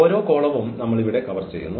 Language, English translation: Malayalam, So, we are covering each column for instance here